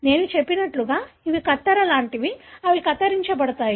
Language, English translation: Telugu, As I said, these are like scissors, they cut